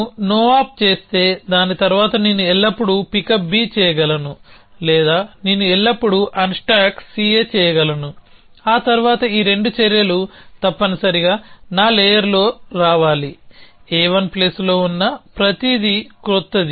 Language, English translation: Telugu, If I do a no op then I can always do a pick up b after that essentially or I can always do a unstack c a, after that which means these 2 actions must come in my layer, so everything which is there in a 1 plus something new